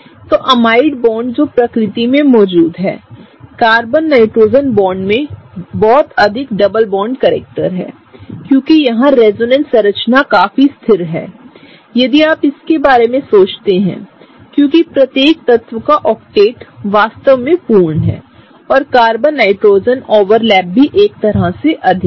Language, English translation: Hindi, So, infact, the amide bonds that exist in nature are such that the Carbon Nitrogen bonds have much more double bond characters, because the particular resonance structure here is quite stable if you think about it, because the octet of each element is really complete and also the Carbon Nitrogen overlap is kind of high, right